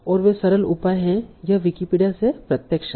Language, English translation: Hindi, And there are simple measures direct from Wikipedia